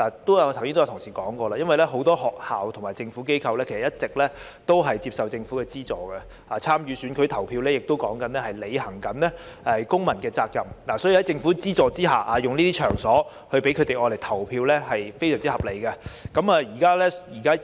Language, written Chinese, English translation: Cantonese, 剛才有同事提過，很多學校及非政府機構一直接受政府資助，而參與選舉投票亦是履行公民責任，所以將收取政府資助的場所用作投票站是非常合理的。, This is unacceptable . Some colleagues have mentioned earlier that many schools and NGOs have been receiving grants from the Government whereas it is a civic responsibility to vote in elections . It is hence perfectly justified to use venues receiving grants from the Government as polling stations